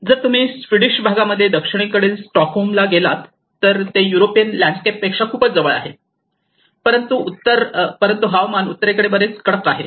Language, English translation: Marathi, If you ever go to Stockholm up south in the Swedish part, it is much more closer to the European landscapes, but the northern climates are much harsher